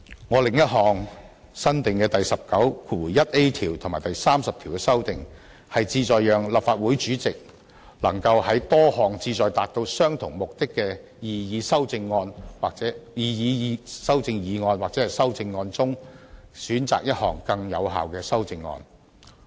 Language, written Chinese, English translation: Cantonese, 我另一項新訂第19條和對第30條的修訂，旨在讓立法會主席能夠在多項旨在達到相同目的的擬議修正議案或修正案中，選擇更有效的修正案。, My proposals to add a new Rule 191A and amend Rule 30 seek to enable the President of the Council to select the more effective amendment where there are a number of proposed amending motions or amendments seeking to achieve the same purpose